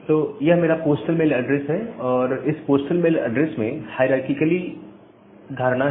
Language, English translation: Hindi, Now, this is my postal mail address and in this postal mail address there is a kind of hierarchical notion